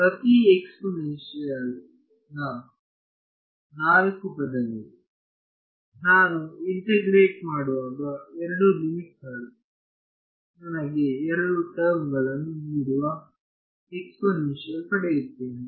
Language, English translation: Kannada, Four terms each exponential when I integrate, I will get an exponential the two the limits will give me two terms